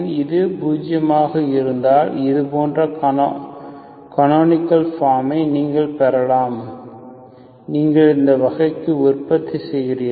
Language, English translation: Tamil, If it is zero, you can get canonical form like this, okay, you produce into this type